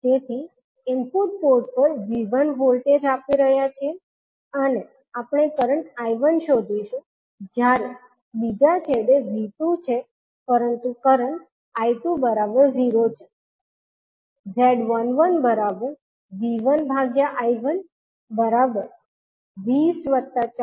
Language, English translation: Gujarati, So, in the input port we are applying V1 voltage and we will find out the current I1, while at the other end V2 is there but current I2 is 0